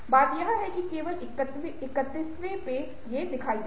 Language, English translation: Hindi, the thing is that it will only become visible with the thirty first one